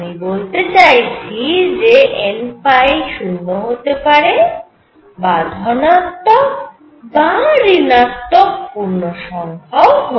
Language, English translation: Bengali, So, I will going to say n phi could be 0 or positive or negative integers